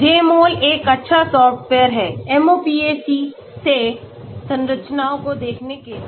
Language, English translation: Hindi, So Jmol is a good software for viewing structures from MOPAC